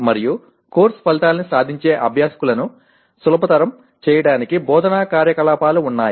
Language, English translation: Telugu, And instructional activities to facilitate the learners attaining the course outcome